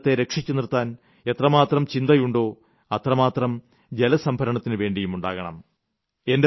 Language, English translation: Malayalam, We are so concerned about saving lives; we should be equally concerned about saving water